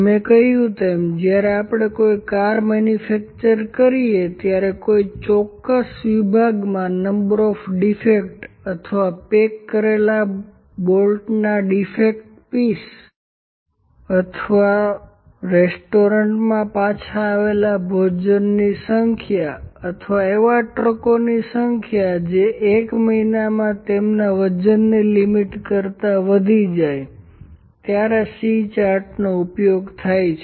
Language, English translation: Gujarati, As I said when we manufacture a car the number of defectives in a specific section, or the number of defective pieces of the bottles which were packed, or the number of a return meals in a restaurant, or of the number of trucks that exceed their weight limit in a month, or like this when number of defects are there, C charts are used